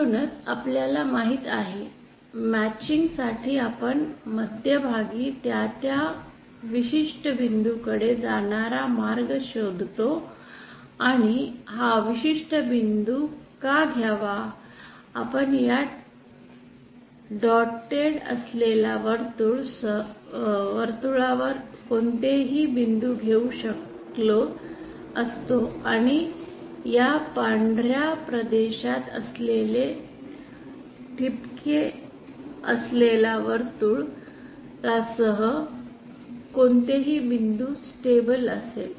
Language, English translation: Marathi, So as we know for matching what we do we find a path from the center to that particular point, and why take this particular point by the way, we should have taken any of the points along this dotted circle and all the points of this dotted circle which lie in this white region will be stable